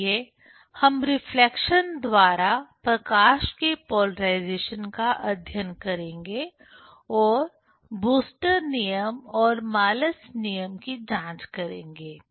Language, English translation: Hindi, So, we will study the polarization of the light by reflection and will verify the Brewster s law and Malus law